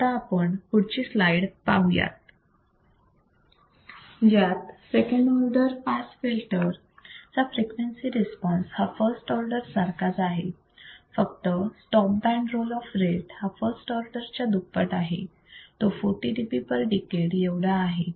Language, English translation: Marathi, Let us go to the next slide that is that the frequency response second order pass filter is identical to that of first order except that the stop band roll off rate will be twice of the first order low pass filter, which is 40 dB per decade